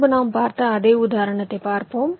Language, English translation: Tamil, ok, lets look at the same example